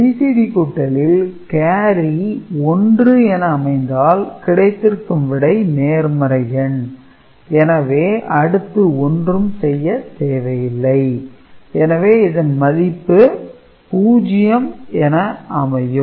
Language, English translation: Tamil, And, if BCD addition generates carry then there is a result is positive and we do not need to do anything, I mean you have to just take the result as it is right